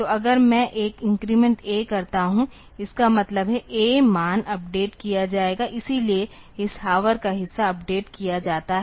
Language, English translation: Hindi, So, if I do an increment A; that means, the A value will be updated; so this hour part is updated